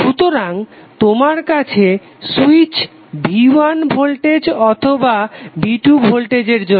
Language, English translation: Bengali, So you have switch connected either for voltage that is V1 or 2 voltage V2